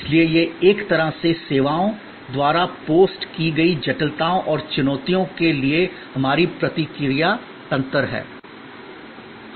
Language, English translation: Hindi, So, this is in a way our response mechanisms to the complexities and challenges post by services